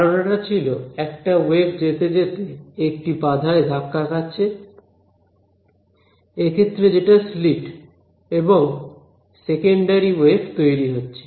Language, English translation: Bengali, So, the idea was that there is wave that travels hits some obstacle in this case the slit and there are secondary waves that are generated right